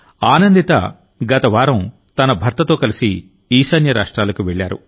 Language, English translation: Telugu, Anandita had gone to the North East with her husband last week